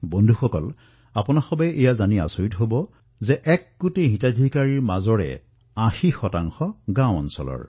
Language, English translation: Assamese, you will be surprised to know that 80 percent of the one crore beneficiaries hail from the rural areas of the nation